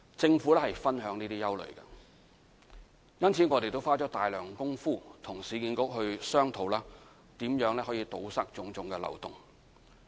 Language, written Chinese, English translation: Cantonese, 政府理解這些憂慮，因此我們也花了大量工夫，與市區重建局商討如何堵塞種種漏洞。, The Government understands their concern and has put in a lot of efforts to work with the Urban Renewal Authority so as to plug various loopholes